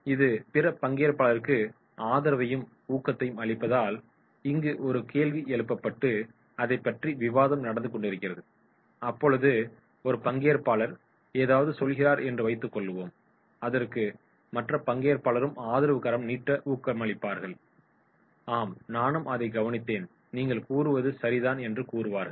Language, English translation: Tamil, Giving support and encouragement to other participants, so therefore suppose a question is raised, a discussion is going on and one participant has said something then the other participant also give the support and encourages yes you are saying right, I also observed the same thing